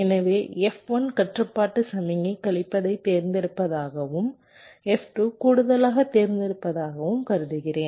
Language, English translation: Tamil, so i am assuming that f one, the control signal, selects subtraction and f two selects addition